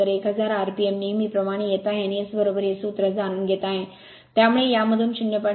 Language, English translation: Marathi, So a 1000 rpm it is coming as usual and S is equal to you knowing this formula, so from this you are getting 0